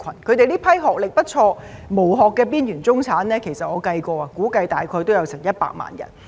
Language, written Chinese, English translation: Cantonese, 這些學歷不錯、"無殼"的邊緣中產，我估計大約也有100萬人。, My estimate is that there are about 1 million of these quite well educated shell - less marginalized middle - class people